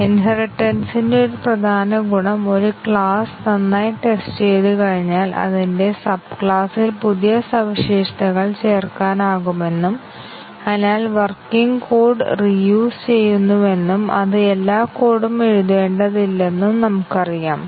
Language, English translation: Malayalam, Inheritance, we know that one of the important benefit of inheritance is that once a class has been tested is working well we can add new features in its sub class and therefore, we reuse working code do not have to write all that code it has been tested and written